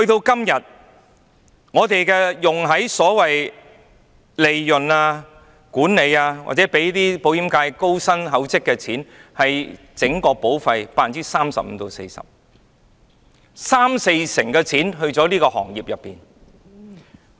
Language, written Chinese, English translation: Cantonese, 今天的方案，用在所謂利潤、管理或讓保險界高薪厚職的錢，佔整筆保費的 35% 至 40%， 即三四成錢去了這個行業。, Under the current proposal 35 % to 40 % of VHIS premiums will go to profits management fees and the lucrative remuneration package for insurance practitioners . In other words 30 % or 40 % of premiums will be pocketed by the industry